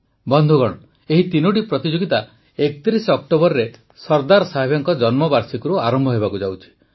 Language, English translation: Odia, these three competitions are going to commence on the birth anniversary of Sardar Sahib from 31st October